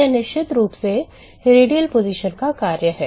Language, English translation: Hindi, This is the function of radial position of course